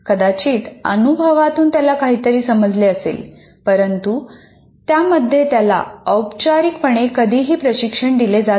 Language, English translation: Marathi, Some of those experiences, maybe through experience he may understand something, but is never formally trained in that